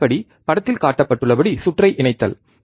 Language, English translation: Tamil, First step is connect the circuit as shown in figure